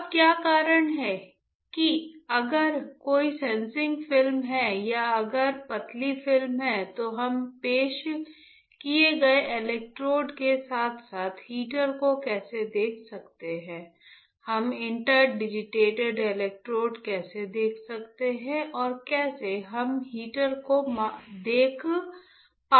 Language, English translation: Hindi, Now what is why if there is a sensing film or if there is a thin films, how can we see the introduced electrodes as well as the heater, how we are able to see, how we are able to see the inter digitated electrodes and how we are able to see the heater right